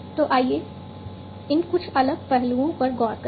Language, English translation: Hindi, So, let us look at some of these different aspects